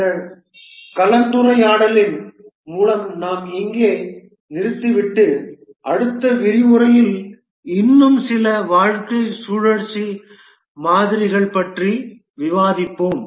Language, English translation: Tamil, With this discussion we will just stop here and continue discussing a few more lifecycle models in the next lecture